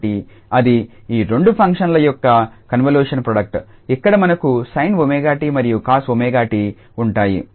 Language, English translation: Telugu, So, that is the convolution product of these two functions where we have sin omega t and cos omega t